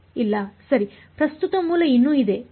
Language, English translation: Kannada, No right the current source is still there ok